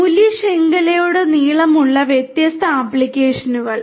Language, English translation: Malayalam, Different applications across the value chain